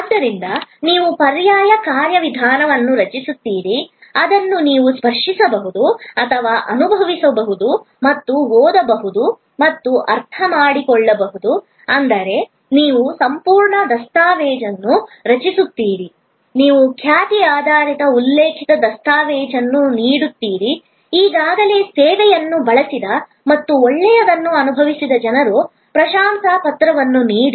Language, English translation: Kannada, So, you create an alternate mechanism, which you can touch and feel and read and understand is that you create a whole series of documentation, you give reputation oriented referral documentation, give testimonial of people who have already earlier use the service and felt good